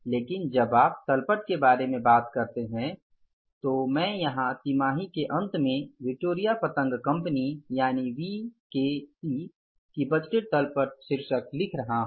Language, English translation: Hindi, But when you talk about the balance sheet I am writing here the title budgeted balance sheet of BKC as at the end of the quarter